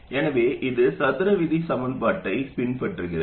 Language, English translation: Tamil, Okay, so it follows a square law behavior